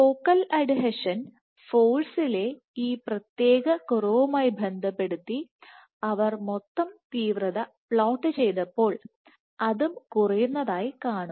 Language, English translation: Malayalam, So, correlated with this particular drop in focal adhesion force when they also plotted the focal adhesion the total intensity this also exhibited a drop